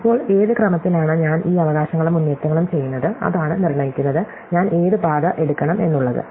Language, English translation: Malayalam, Now, in which sequence I do these rights and ups is what determines which path I take, right